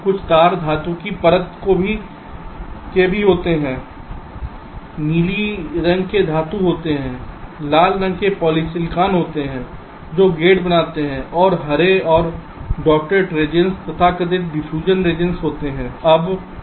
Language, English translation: Hindi, the blue are the metal, the red are the poly silicon which forms the gates, and the greens and the dotted regions are the so called diffusion regions